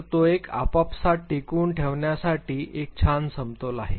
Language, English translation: Marathi, So, there is a nice equilibrium that they maintain between themselves